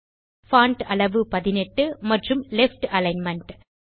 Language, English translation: Tamil, Font size 18 and Left Alignment